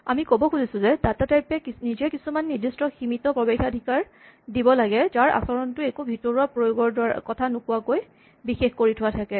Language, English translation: Assamese, We are trying to say that the data type on it is own should allow only certain limited types of access whose behavior is specified without telling us anything about the internal implementation